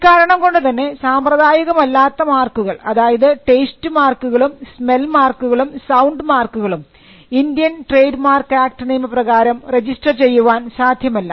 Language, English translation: Malayalam, Unconventional marks like sound mark, smell marks and taste marks cannot be registered under the Indian trademarks act